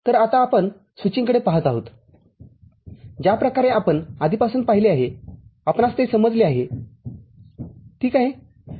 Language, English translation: Marathi, So, now we look at the switching, the way we have already seen it, we have understood it – ok